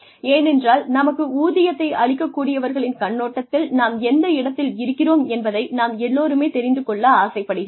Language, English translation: Tamil, Why because, we all want to know, where we stand, from the perspective of the people, who are paying us, our salaries